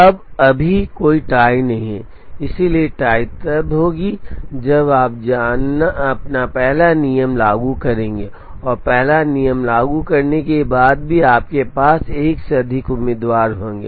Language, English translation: Hindi, Now right now there is no tie, so the tie will happen when you apply your first rule, and after applying the first rule you still have more than one candidate